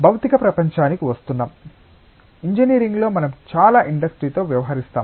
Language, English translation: Telugu, Coming to the material world, I mean in engineering we deal with lots of industries